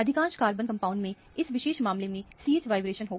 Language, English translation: Hindi, Most of the organic compounds will have CH vibration in this particular case